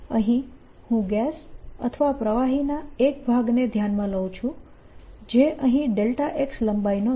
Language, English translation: Gujarati, for this i consider a portion of gas or liquid in this which is here of length, delta x